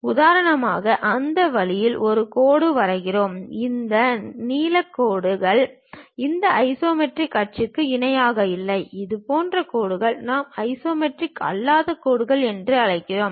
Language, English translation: Tamil, For example, let us draw a line in that way; this blue line is not parallel to any of these isometric axis, such kind of lines what we call non isometric lines